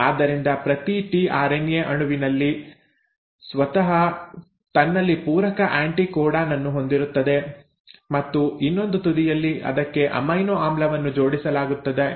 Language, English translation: Kannada, So each tRNA molecule in itself will have a complimentary anticodon and at the other end will also have an amino acid attached to it